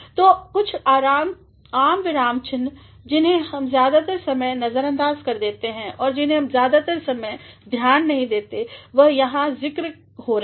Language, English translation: Hindi, So, some of the common punctuation marks, which most of the time we ignore or which most of the time we do not pay much attention to are being mentioned here